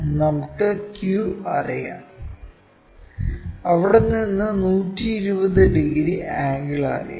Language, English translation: Malayalam, From q', let us locate this 120 degrees and let us call this point as r'